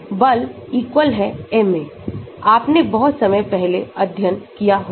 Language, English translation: Hindi, Force = ma, you must have studied long time back